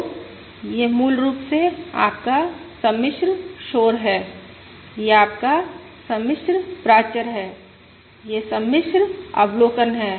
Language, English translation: Hindi, So this is basically your complex noise, this is your complex parameter, this is the complex observation, This is the complex observation